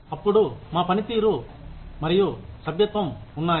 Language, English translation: Telugu, Then, we have performance versus membership